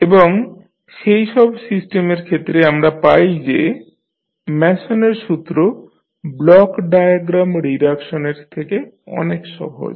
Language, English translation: Bengali, And for those kind of systems we find that the Mason’s rule is very easy to use than the block diagram reduction